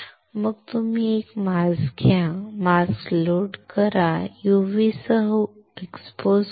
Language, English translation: Marathi, Then you take a mask, load the mask expose it, with the UV